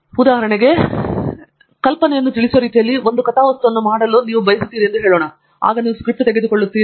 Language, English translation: Kannada, For example, let us say you want quickly make a plot in a way that conveys the idea, you want to pick up a mat lab, the script for that